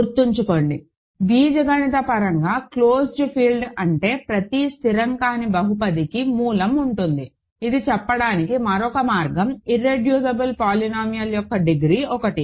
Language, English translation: Telugu, Remember, what is an algebraically closed field, there is every non constant polynomial has a root; another way of saying this is degree of irreducible polynomial has to be 1